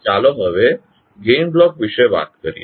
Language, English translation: Gujarati, Now, let us talk about the Gain Block